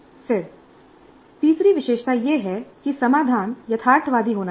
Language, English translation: Hindi, Then the third feature is that the solution must be realistic